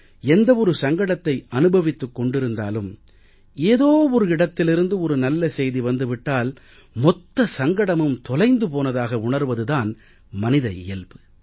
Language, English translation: Tamil, It is human nature that no matter how many perils people face, when they hear a good news from any corner, they feel as if the entire crisis is over